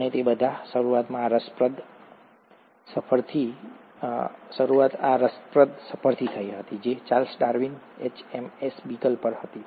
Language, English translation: Gujarati, And, it all started with this interesting trip which Charles Darwin took on HMS Beagle